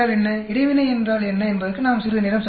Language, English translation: Tamil, We will spend some time on what is interaction